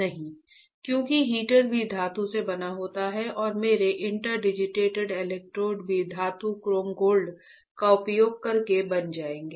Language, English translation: Hindi, No right because heater is also made up of metal and my interdigitated electrodes will also be fabricated using metal chrome gold, right